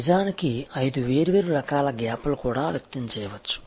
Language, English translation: Telugu, So, there is a gap actually can also be expressed in five different types of gaps